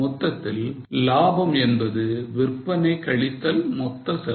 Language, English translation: Tamil, Overall you know that profit is sales minus total cost